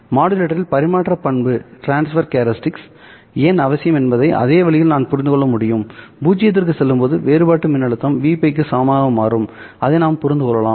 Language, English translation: Tamil, Now by the same way can we understand why the modulator transfer characteristic must go to 0 when the difference voltage becomes equal to v pi